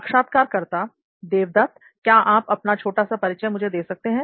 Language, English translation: Hindi, Devdat, can you just give me a brief intro about yourself